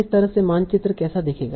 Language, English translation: Hindi, So this is how the map will look like